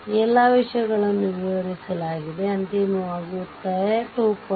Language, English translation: Kannada, So, all these things are explained right, finally 2